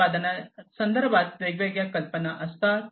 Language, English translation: Marathi, People have different ideas regarding a product